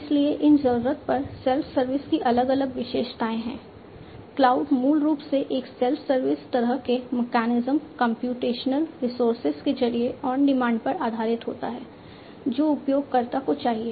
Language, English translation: Hindi, So, there are different features of these on demand self service, cloud basically helps in getting through a self service kind of mechanism computational resources on demand based on what the user requires